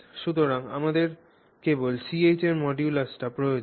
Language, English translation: Bengali, So, we only need this modulus of CH